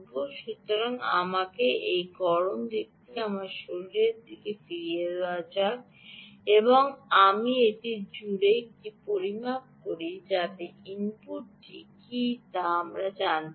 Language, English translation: Bengali, so let me put back this ah hot side to my body and i make a measurement across this so that we know what is the input